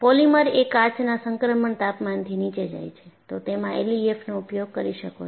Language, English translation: Gujarati, And, we find polymers below glass transition temperature; you could invoke L E F M